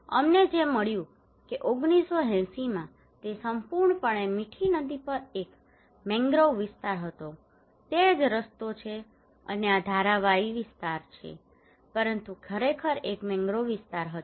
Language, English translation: Gujarati, What we found that in 1980 it was a mangrove area totally on Mithi river, that is the road, and this is the Dharavi area, but it was actually a mangrove areas